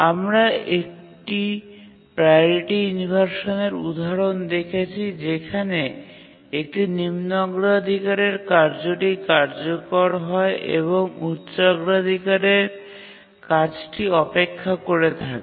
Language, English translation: Bengali, So we have a priority inversion example where a low priority task is executing and high priority task is waiting